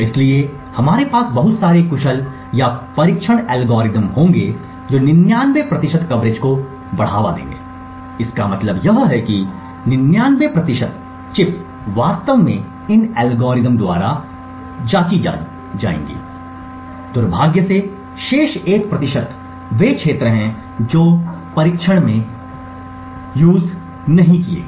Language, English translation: Hindi, So we would have a lot of very efficient or testing algorithms which would a boost off a coverage of say 99 percent, what this means is that 99 percent of the chip is actually tested by these algorithms, unfortunately the remaining 1 percent is the areas which are not tested